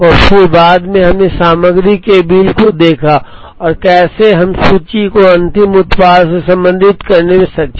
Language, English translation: Hindi, And then later we saw the bill of material and how we are able to relate inventory to the final product